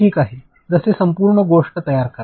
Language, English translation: Marathi, Like create the entire thing